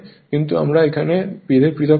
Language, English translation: Bengali, But , buthow we will separate this right